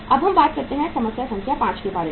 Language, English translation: Hindi, Now let us talk about the problem number 5